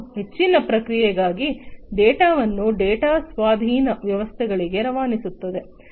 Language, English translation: Kannada, And transmit the data to the data acquisition system for further processing